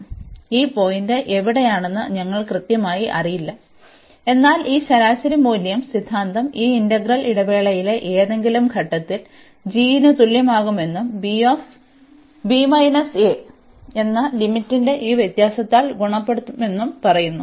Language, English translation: Malayalam, So, we do not know exactly where is this point, but this mean value theorem says that this integral will be equal to g at some point in the interval, and multiplied by this difference of the limit b minus a